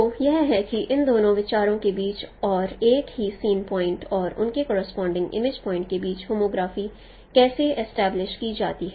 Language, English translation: Hindi, So this is how the homography is established between these two views and with their corresponding image points of the same scene point